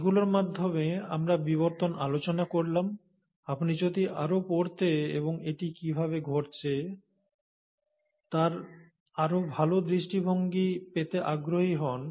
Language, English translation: Bengali, So with that, we have talked about evolution, and if you are interested to read more and get a better perspective on how it actually happened